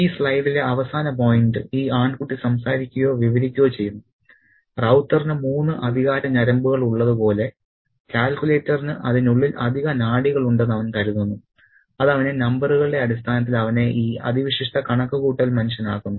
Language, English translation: Malayalam, And the final point on this slide is spoken by or narrated by this boy narrator who thinks that the calculator has got those extra nerves inside it just as Raua himself had three extra nerves which makes them this super calculating human being in terms of numbers